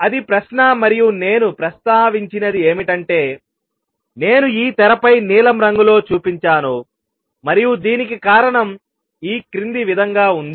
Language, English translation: Telugu, And what I have claimed is what I have shown in blue on this screen and the reason for this is as follows